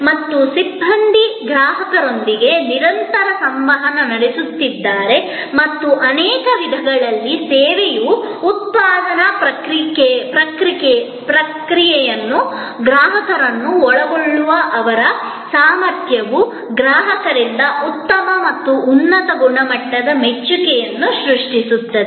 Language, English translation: Kannada, And the personnel are in constant interaction with the customer and in many ways, their ability to involve the customer in that production process of the service often creates a much better and higher level of appreciation from the customer